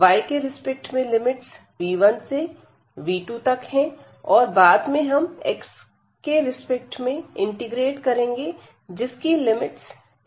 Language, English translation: Hindi, So, with respect to y the limits as I said will be from v 1 x to this v 2 x and later on or at the end we can integrate this with respect to x the limits will be from a to b